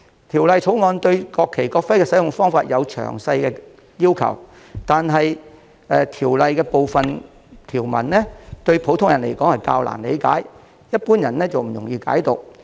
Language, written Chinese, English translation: Cantonese, 《條例草案》對國旗、國徽的使用方法有詳細的要求，但部分條文對普通人而言較難理解，一般人不易解讀。, The Bill has prescribed detailed requirements for the use of the national flag and national emblem but some provisions are relatively difficult for the general public to understand and interpret